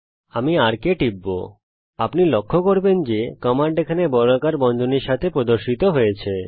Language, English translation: Bengali, I click on arc you will notice that the command appears here, with square brackets